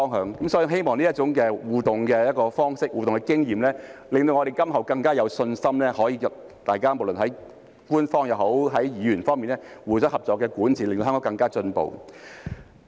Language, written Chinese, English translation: Cantonese, 所以，我希望這種互動方式和經驗可以令我們今後更加有信心，不論是官方也好，議員也好，大家能夠互相合作，令香港更加進步。, Therefore I hope that this way of interaction and such an experience can foster our confidence in future so that government officials and Members can cooperate with each other to enable Hong Kong to make further improvement